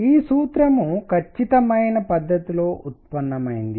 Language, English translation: Telugu, This formula is derived in an exact manner